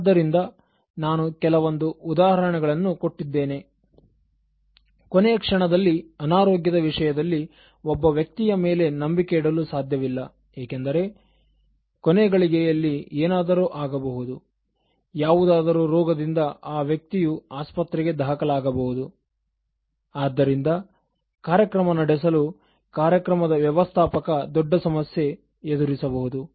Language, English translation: Kannada, So, I gave you examples such as, at the last moment a person in terms of ill health cannot be relied upon because at the last moment something can come, some kind of disease, and the person has to be admitted in a hospital, so the event manager finds at a major problem in running that event